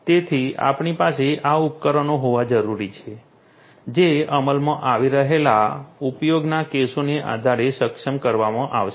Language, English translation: Gujarati, So, we need to have these devices which will be enabled depending on the use cases being implemented and so on